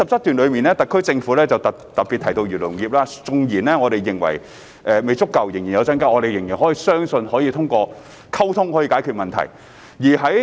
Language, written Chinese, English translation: Cantonese, 特區政府在第77段特別提到漁農業，縱然我們認為未足夠、有待增加，但仍相信可通過溝通解決問題。, In paragraph 77 the SAR Government specifically mentions the agriculture and fisheries industry . Although we think that the support is inadequate and should be increased we believe that the problem can be solved through communication